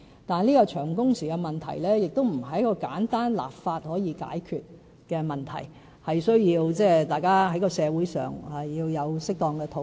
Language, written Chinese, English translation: Cantonese, 但是，長工時的問題，並不是經過簡單立法便可解決的問題，而是需要社會的適當討論。, However long working hours are not a problem that can be solved by a simple legislative exercise . Rather it actually requires appropriate discussions in society